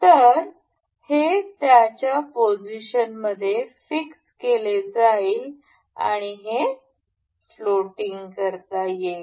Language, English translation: Marathi, So, this will be fixed in its position and this can be made floating